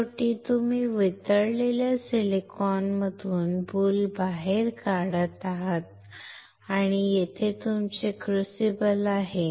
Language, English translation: Marathi, Finally, you are pulling out the boule from the molten silicon and here is your crucible